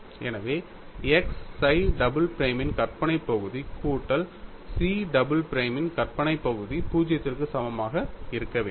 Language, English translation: Tamil, So, I get a requirement x imaginary part of psi double prime plus imaginary part of chi double prime should be equal to 0